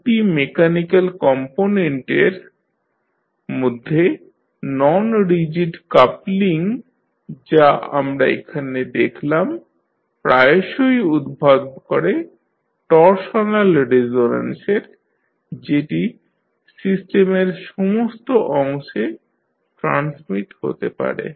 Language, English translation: Bengali, The non rigid coupling between two mechanical components which we see here often causes torsional resonance that can be transmitted to all parts of the system